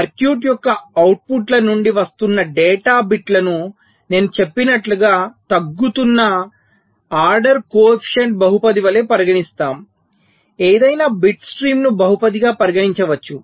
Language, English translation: Telugu, so we treat the data bits that are coming out of the outputs of the circuit as a decreasing order coefficient polynomial, just as i had mentioned that any bit stream can be regarded as a polynomial